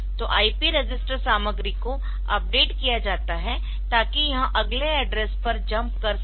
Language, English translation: Hindi, So, the IP register content is updated so that it jumps to the next address